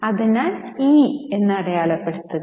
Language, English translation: Malayalam, So, let us mark it as E